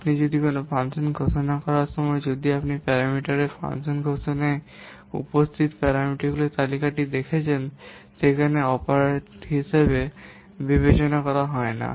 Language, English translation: Bengali, While you are declaring a function, if you are putting the parameters or the parameter list that are present in the function declaration, that is not considered as an operant